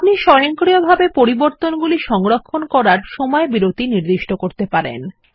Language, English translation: Bengali, You can also set a time interval to save the changes automatically